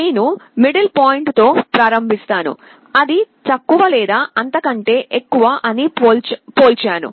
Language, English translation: Telugu, I start with the middle point, I compare whether it is less or greater